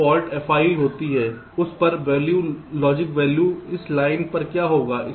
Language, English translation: Hindi, so fault f i occurs, what will be the value, logic value on that line